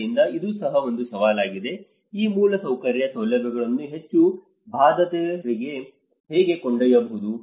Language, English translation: Kannada, So, this is also one of the challenge, how one can take these infrastructure facilities to the most affected